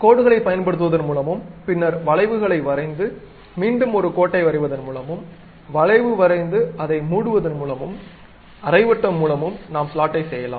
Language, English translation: Tamil, We can use same kind of thing by using drawing lines, then drawing arcs, again drawing a line and closing it by arc also, semi circle, we can do that